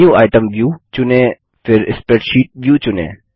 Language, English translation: Hindi, Select the menu item view, and Check the spreadsheet view